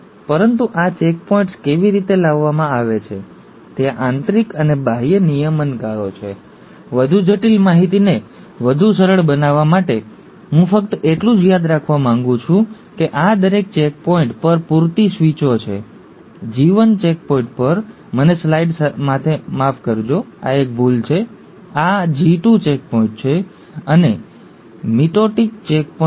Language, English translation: Gujarati, But how are these checkpoints brought about, there are internal and external regulators, to make a more complex information simpler, I just want you to remember that there are enough switches at each of these checkpoints, at the G1 checkpoint, at, I am sorry with the slides, this is a mistake, this is a G2, G2 checkpoint, and at the mitotic checkpoint